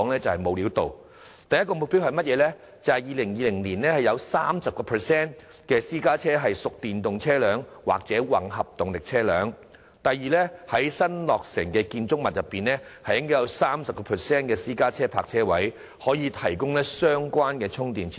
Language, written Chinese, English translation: Cantonese, 政府訂定的第一個目標，是2020年會有 30% 私家車屬電動車輛或混合動力車輛；第二個目標則是在新落成建築物中，會有 30% 私家車泊車位可提供相關充電設施。, The first objective set by the Government is to increase the proportion of EVs or hybrid vehicles to 30 % of registered private cars by 2020; while the second objective is to provide charging facilities for EVs in 30 % of private car parking spaces in newly constructed buildings